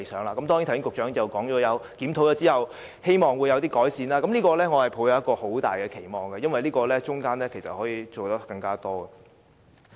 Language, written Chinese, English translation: Cantonese, 不過，局長剛才亦提到，希望在檢討後能有所改善，我對此抱有很大的期望，因為局方可從中做得更多。, Nevertheless the Secretary earlier also stated that there would hopefully be some improvement upon review of the programme . I have great expectation for that because there may then be room for the Bureau to do more